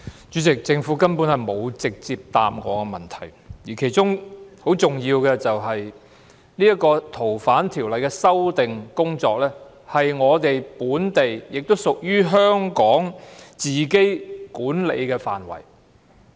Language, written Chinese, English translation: Cantonese, 主席，政府根本沒有直接回答我的質詢，而其中很重要的是，《逃犯條例》的修訂工作是我們本地，亦都屬於香港自己管理的範圍。, President basically the Government has not directly answered my question in which a very important part is that the amendment of FOO is our local affair and is within the scope of administration of Hong Kong itself